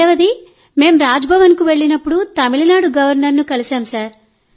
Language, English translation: Telugu, Plus the second best thing was when we went to Raj Bhavan and met the Governor of Tamil Nadu